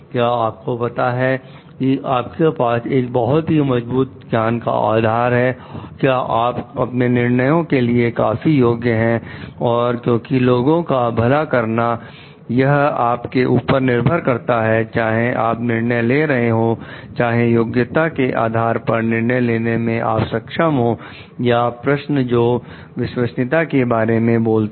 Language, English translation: Hindi, So, do you know your you have a sound knowledge based; are you competent for your decisions and because the welfare of the people depends on you like whether you are taking a decision, whether you are capable of taking a decision based on your competence or questions which talks of the trustworthiness